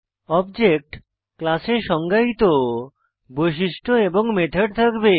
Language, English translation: Bengali, An object will have the properties and methods defined in the class